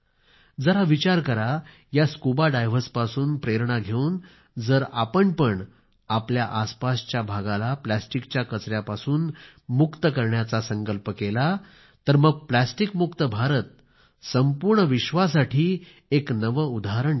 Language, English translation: Marathi, Pondering over, taking inspiration from these scuba divers, if we too, take a pledge to rid our surroundings of plastic waste, "Plastic Free India" can become a new example for the whole world